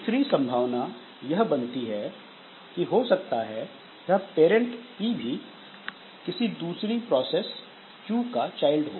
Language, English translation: Hindi, Other possibility is that this parent P that we had, so it was the, and itself was the child of some other process Q